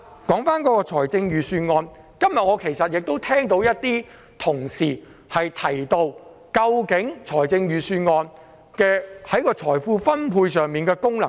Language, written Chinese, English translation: Cantonese, 說回預算案，今天有同事提到預算案在財富分配上的功能。, Let me come back to the Budget . A colleague mentioned today the function of the Budget in wealth distribution . This is actually an old idea